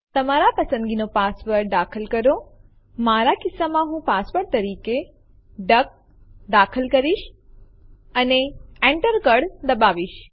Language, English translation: Gujarati, Type the password of your choice, in my case i am going to type duck as the password and press Enter